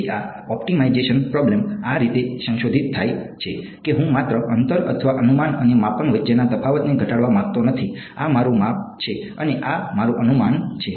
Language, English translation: Gujarati, Then this optimization problem gets modified like this that not only do I want to minimize the distance or the difference between prediction and measurement right, this is my measurement and this is my prediction